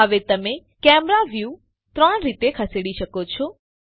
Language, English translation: Gujarati, Now you can move the camera view in three ways